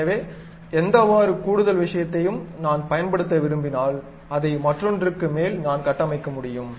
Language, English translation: Tamil, So, any additional stuff if I would like to use, one over other I can construct